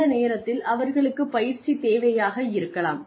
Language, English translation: Tamil, At that point, the training need may be there